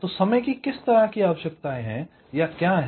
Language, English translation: Hindi, so what are the timing requirements